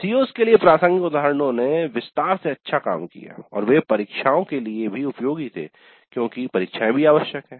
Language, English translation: Hindi, Then examples relevant to the COs worked out well in detail and also they were useful for examinations because examinations are also essential